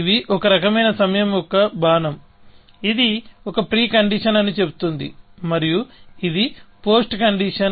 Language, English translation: Telugu, These are sort of an arrow of time, which says this is a precondition, and this is a post condition